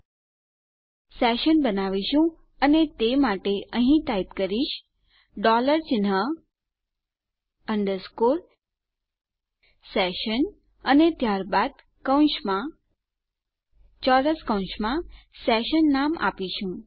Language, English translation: Gujarati, Were going to create a session and to do this let me start and type here the dollar sign underscore session and then in brackets, in square brackets, we will give it a session name